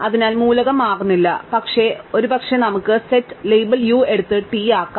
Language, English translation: Malayalam, So, the element does not change, but maybe we might take the set, the label u and make it t